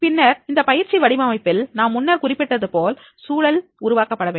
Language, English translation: Tamil, So in designing the training means we have to create a learning environment